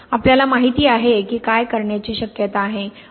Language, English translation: Marathi, We know what are the possibilities to do